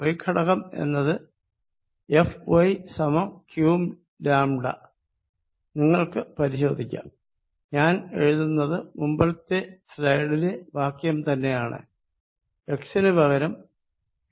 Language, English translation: Malayalam, The y component is going to be F y equals q lambda, you can check that I am writing the expression from the previous slide 4 pi Epsilon 0 instead of x